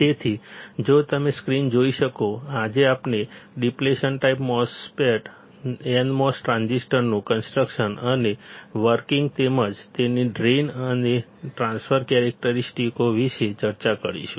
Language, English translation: Gujarati, So, if you see the screen; today, we will be discussing about depletion type nmos transistor; its construction and working as well as its drain and transfer characteristics